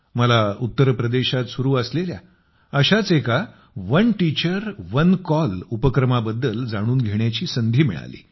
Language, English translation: Marathi, I got a chance to know about one such effort being made in Uttar Pradesh "One Teacher, One Call"